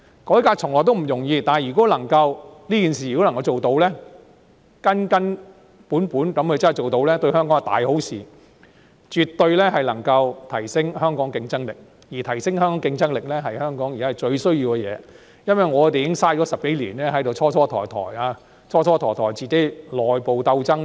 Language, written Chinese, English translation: Cantonese, 改革從來不容易，但如果能夠根根本本地辦成這件事，對香港是大好的事情，絕對能夠提升香港的競爭力，而提升香港競爭力是香港現時最需要的工作，因為我們已蹉跎10多年時間，長時間內部鬥爭。, Reform is never easy but if we can achieve it in its true sense it will definitely do Hong Kong a great favour by enhancing our competitiveness which is currently the most pressing task for Hong Kong because we have wasted more than a decade in long - lasting infighting